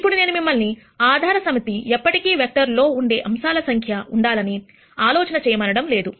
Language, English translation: Telugu, Now, I do not want you to think that the basis set will always have to be the number of elements in the vector